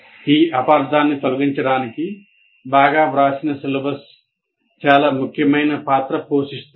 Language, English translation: Telugu, So to eliminate this misunderstanding, a well written syllabus will play a very important role